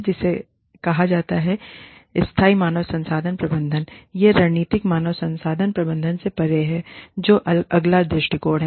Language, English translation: Hindi, It is called, Beyond strategic human resource management, is sustainable human resource management, the next approach